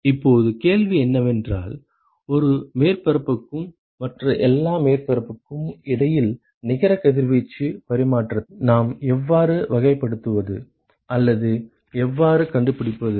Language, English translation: Tamil, Now, the question is how do we characterize or how do we find the net radiation exchange between one surface and all other surfaces